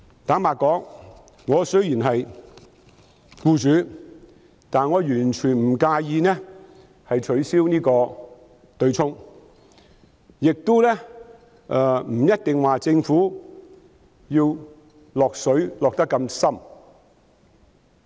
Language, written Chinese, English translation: Cantonese, 坦白說，雖然我是一名僱主，但我完全不介意取消強積金對沖安排，亦認為政府不一定要"落水"落得這麼深。, Frankly speaking even though I am an employer myself I do not mind abolishing the MPF offsetting arrangement at all and I think the Government does not necessarily have to be financially involved in it so heavily